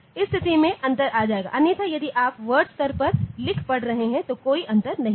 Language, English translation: Hindi, The difference will come at this position, otherwise if you are reading writing word at word level then there is no difference